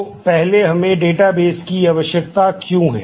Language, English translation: Hindi, So, first why do we need databases